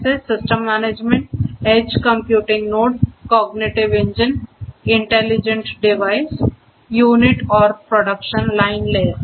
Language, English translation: Hindi, Such as the system management, edge computing node, cognitive engine, intelligent device, unit and production line layer